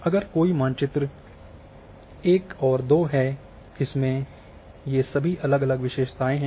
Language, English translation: Hindi, If there is a map 1 map 2 they are having all different attributes here